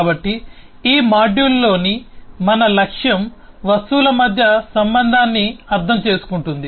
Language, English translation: Telugu, so our objective in this module understands the relationship amongst objects